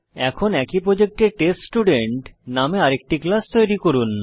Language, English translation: Bengali, Now create another class named TestStudent inside the same project